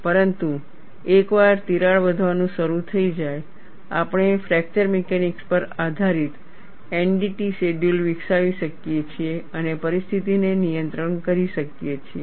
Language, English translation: Gujarati, But once the crack starts growing, we could develop NDT shell schedules based on fracture mechanics and handle the situation